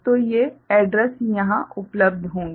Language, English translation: Hindi, So, these addresses will be available here